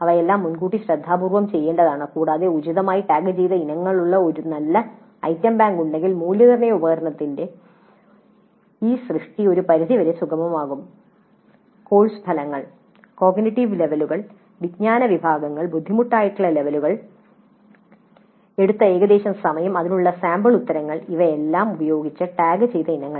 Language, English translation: Malayalam, All this must be done upfront carefully and this creation of the assessment instrument gets facilitated to a great extent if we have a good item bank with items appropriately tagged, items tagged with course outcomes, cognitive levels, knowledge categories, difficulty levels, approximate time taken and sample answers to that